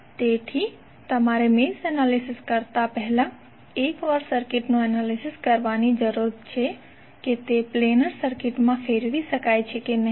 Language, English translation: Gujarati, So you need to analyse the circuit once before doing the mesh analysis whether it can be converted into a planar circuit or not